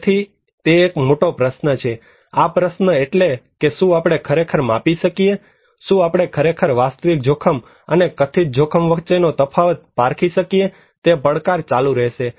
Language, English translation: Gujarati, so that is a big question, these questions that whether we can really measure, can we really distinguish between objective risk and perceived risk that challenge will continue